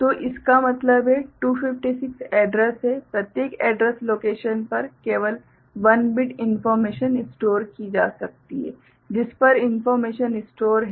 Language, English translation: Hindi, So, that means, 256 addresses are there in each address location only 1 bit information can be stored, on which information is there